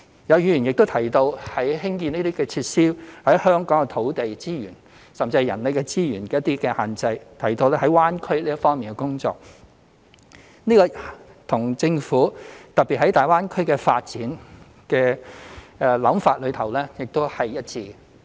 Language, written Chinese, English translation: Cantonese, 有議員也提到，興建這些設施在香港受土地資源，甚至是人力資源的限制，並提到在粵港澳大灣區這方面的工作，這與政府特別就大灣區發展的想法是一致。, Some Members have also raised the point that the development of these facilities in Hong Kong is subject to the constraints of land and manpower and highlighted the relevant developments in the Guangdong - Hong Kong - Macao Greater Bay Area GBA which dovetail with the specific thoughts of the Government about the GBA development